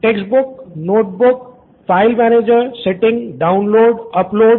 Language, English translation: Hindi, Textbook, notebook, file manager, settings, pretty big, download, upload